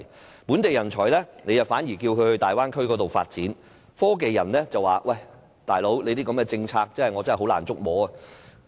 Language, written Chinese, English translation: Cantonese, 對於本地人才，政府反而鼓勵他們前往大灣區發展，科技人才卻認為，這樣的政策實在難以捉摸。, And very strangely the Government encourages local talents to develop their careers in the Bay Area instead . Local technology talents all find this policy totally beyond comprehension